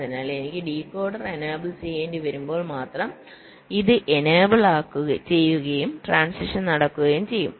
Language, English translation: Malayalam, so only when i require to enable the decoder, only then this will be enabled and the transitions will take place